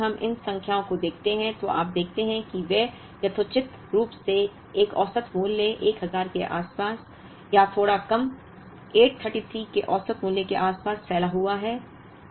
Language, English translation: Hindi, Whereas, if we look at these numbers, you see that they are reasonably spread out, around the average value of 1000, or slightly less, the average value of 833